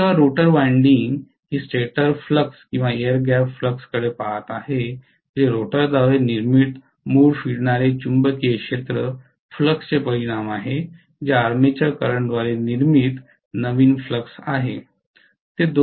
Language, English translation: Marathi, So when the rotor winding is looking at stator flux or the air gap flux which is the resultant of the original revolving magnetic fields flux created by the rotor plus whatever is the new flux created by the armature current